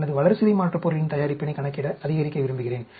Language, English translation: Tamil, I want to calculate, maximize, my metabolite production